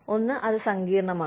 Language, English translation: Malayalam, One, it is complex